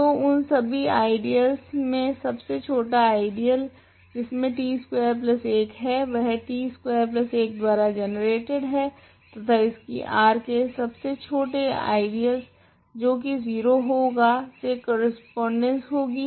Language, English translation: Hindi, So, the smallest ideal in this set of ideals of that contains t squared plus 1 is t squared plus 1 and it corresponds to the smallest ideal of R which is the 0 ideal